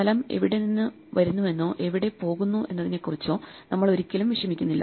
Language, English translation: Malayalam, We never bother about where the space is coming from or where it is going